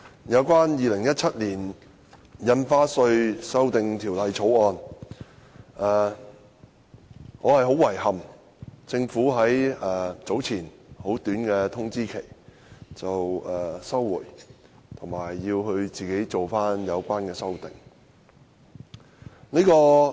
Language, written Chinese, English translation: Cantonese, 有關《2017年印花稅條例草案》，我很遺憾政府早前給予很短的通知期，表示會提出休會待續的議案，並自行作出有關修訂。, Regarding the Stamp Duty Amendment Bill 2017 the Bill I am sorry to learn that the Government has by giving a very short notice moved an adjournment motion and indicated that it would propose the relevant amendments of its own accord